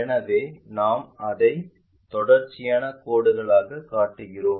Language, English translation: Tamil, So, we show it by a continuous line